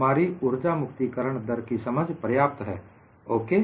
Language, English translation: Hindi, Our understanding of energy release rate is reasonably okay